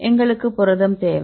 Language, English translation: Tamil, We need to protein and we need the